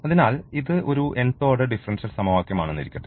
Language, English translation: Malayalam, So, let this is the nth order differential equation